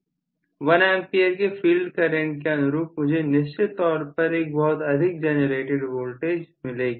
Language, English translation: Hindi, At 1A of field current I would definitely have a higher voltage generated